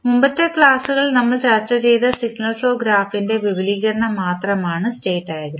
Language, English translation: Malayalam, State diagram is nothing but the extension of the signal flow graph which we discussed in previous lectures